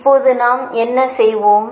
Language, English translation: Tamil, right now, what, what will do